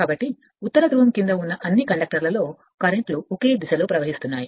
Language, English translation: Telugu, So, all the currents in under your all the conductors under the North Pole flowing in one direction right